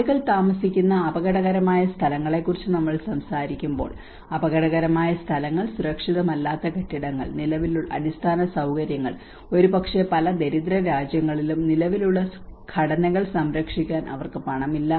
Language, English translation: Malayalam, Where we talk about the dangerous locations people live in the physical dangerous locations, unprotected buildings and infrastructure, maybe many of in poorer countries, they do not have even money to safeguard those existing structures